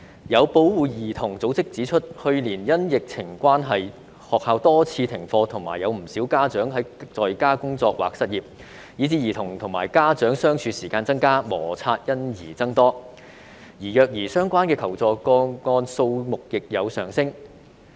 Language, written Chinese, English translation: Cantonese, 有保護兒童組織指出，去年因疫情關係，學校多次停課及有不少家長在家工作或失業，以致兒童與家長相處時間增加，磨擦因而增多，而虐兒相關的求助個案數目亦有上升。, A child protection organization pointed out that last year due to the epidemic schools suspended classes on a number of occasions and quite a number of parents worked from home or lost their jobs; as such children and parents spent more time together resulting in more conflicts between them and an increase in the number of assistance - seeking cases about child abuse